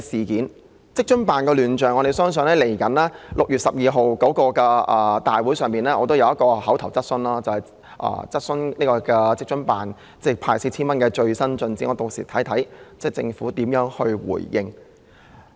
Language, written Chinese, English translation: Cantonese, 就職津辦的亂象，我即將在6月12日的立法會會議上提出一項口頭質詢，查詢派發 4,000 元的工作的最新進展，且看屆時政府有何回應。, With regard to the problems with WFAO I will raise an oral question at the Council meeting to be held on 12 June to enquire about the latest progress on the Governments work in handing out 4,000 to eligible members of the public and let us wait and see what reply will the Government give us then